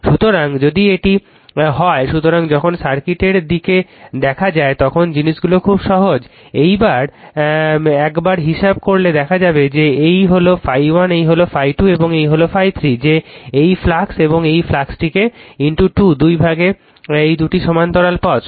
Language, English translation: Bengali, So, when you look at the circuit look at the things are very simple once you have calculated look at that this is phi 1, this is phi 2 and this is the phi 3, that the this is the flux and this flux is divided into 2 this 2 are parallel path right